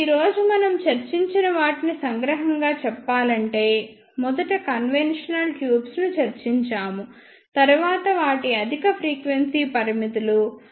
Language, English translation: Telugu, Now, just to summarize what we discussed today is first we discussed conventional tubes then their high frequency limitations